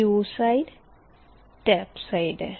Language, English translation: Hindi, the p and q is the tap side